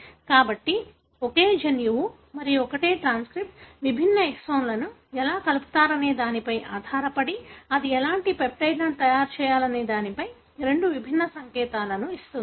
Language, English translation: Telugu, So, the same gene and the same transcript, depending on how different exons are joined together, gives two different signal as to what kind of peptide it has to make